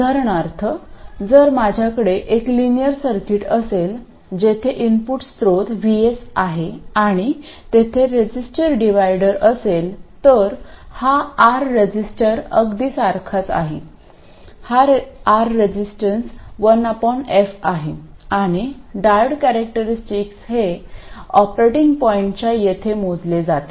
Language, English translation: Marathi, So, for instance, if I had a linear circuit where the input source is vS and there is a resistive divider, this resistance is R exactly the same as here, and this resistance is 1 by f prime of the diode characteristic calculated at the operating point, you will get the same solution, right